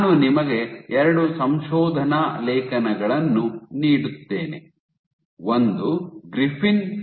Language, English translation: Kannada, I give you 2 papers; one is Griffin et al